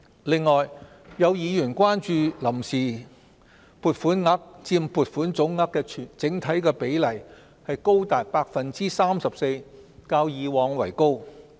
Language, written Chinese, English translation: Cantonese, 此外，有議員關注臨時撥款額佔撥款總額的整體比例高達 34%， 較以往為高。, In addition some Members are concerned that the sum of the provisional appropriation accounts for 34 % of the total appropriation which is higher than that of the past